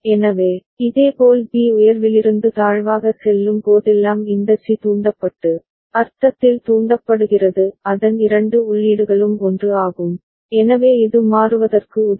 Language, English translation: Tamil, So, similarly whenever B goes from high to low that time this C is triggered, and triggered in the sense its both the inputs are 1, so it will toggle